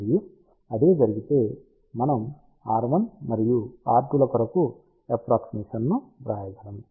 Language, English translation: Telugu, And, if this is the case we can approximately write expression for r 1 and r 2